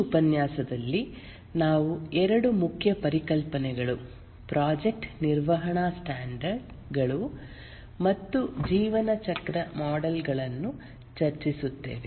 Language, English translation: Kannada, In this lecture, we'll discuss two main concepts, the project management standards and the lifecycle models